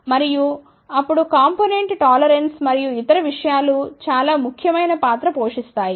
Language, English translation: Telugu, And, then component tolerances and other things play very important role